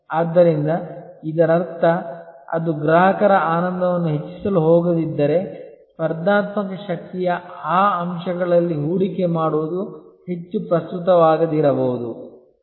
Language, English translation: Kannada, So, which means that if it is not going to enhance customer delight, then possibly investment in that aspect of the competitive strength may not be very relevant